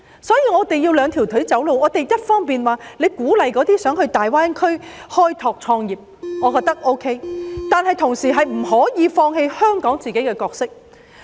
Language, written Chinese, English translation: Cantonese, 所以，我們需要"兩條腿走路"，一方面要鼓勵想到大灣區開拓事業或創業的人，我認為是可以的，但同時亦不可以放棄香港自己的角色。, Thus we need to adopt a two - pronged approach . On the one hand we must encourage people to develop a career or start a business in the Greater Bay Area which I think is possible and at the same time we cannot give up on Hong Kongs own role